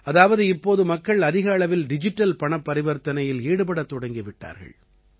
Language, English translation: Tamil, That means, people are making more and more digital payments now